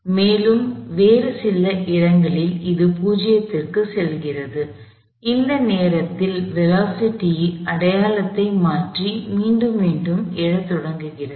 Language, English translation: Tamil, And at some other location it goes to 0 at which point the velocity changes sign and start to rebound backup again